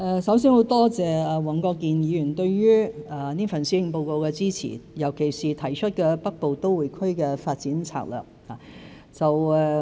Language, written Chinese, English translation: Cantonese, 首先多謝黃國健議員對這份施政報告的支持，尤其是當中提出的《北部都會區發展策略》。, First of all I would like to thank Mr WONG Kwok - kin for his support of this Policy Address especially the Development Strategy mentioned in it